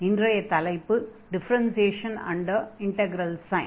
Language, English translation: Tamil, And today’s topic will be Differentiation Under Integral Sign